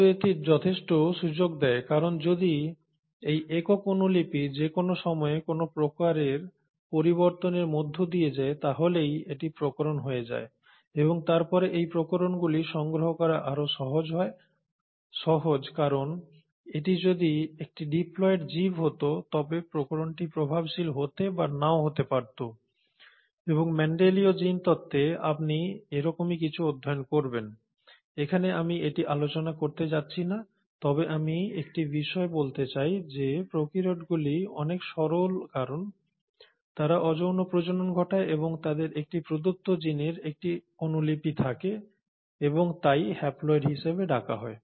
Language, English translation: Bengali, But this gives enough scope, because if at all this single copy undergoes any sort of mutation at any point of time it becomes a variation and then it is much more easier to accumulate these variations because if it was a diploid organism, the variation may become dominant or may not become dominant and this is something that you will study in your Mendelian genetics, I am not going to cover it here but I want to bring home the same point that prokaryotes are much simpler because they undergo asexual reproduction and they have one copy of a given gene and hence are called as haploids